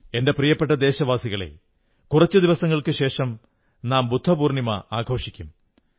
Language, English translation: Malayalam, My dear countrymen, a few days from now, we shall celebrate Budha Purnima